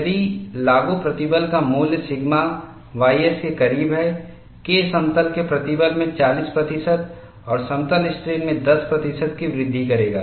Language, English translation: Hindi, If the value of applied stress is closer to sigma ys, K will increase by 40 percent in plane stress and 10 percent in plane strain, so that relative increase of K is significant